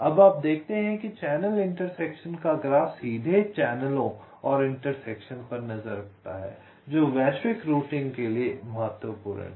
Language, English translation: Hindi, right now, you see, the channel intersection graph directly keeps track of the channels and intersections, which is important for global routing